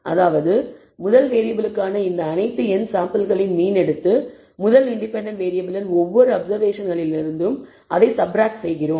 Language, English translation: Tamil, That means, we take the mean of all these n samples for the first variable and subtract it from each of the observations of the first independent variable